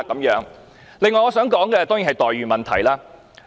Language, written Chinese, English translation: Cantonese, 此外，我想說的，當然是待遇問題。, In addition what I wish to discuss is certainly the issue of treatment